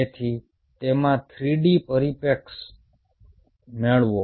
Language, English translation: Gujarati, so get a three d perspective into it